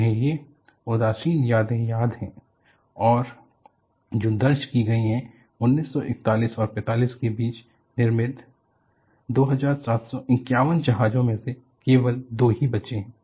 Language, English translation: Hindi, They remember this, nostalgic memories and what is recorded is, out of the 2751 ships built between 1941 and 45, only two remain afloat